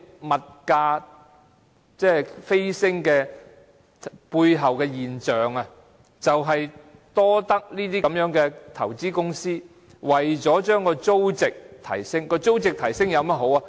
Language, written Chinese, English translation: Cantonese, 物價飆升背後的現象便是這些投資公司要把租值提升，租值提升有甚麼好處呢？, Behind the surge of prices are these investment companies intending to increase the rental value . What is the advantage of raising the rental value?